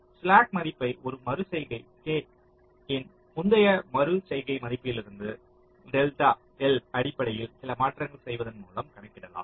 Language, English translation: Tamil, so the slack value at an iteration k can be calculated from the previous iteration value by making some changes based on delta l